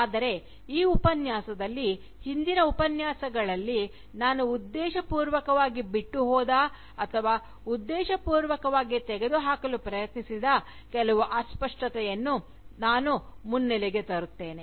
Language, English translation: Kannada, But, in this Lecture, I would try and foreground, some of that vagueness, which I had deliberately left out, or which I had deliberately tried removing, in my earlier Lectures